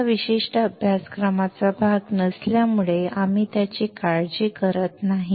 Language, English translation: Marathi, Since it is not a part of this particular course so, we do not worry about it